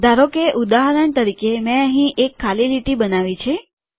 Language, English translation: Gujarati, Suppose for example, I create a blank line here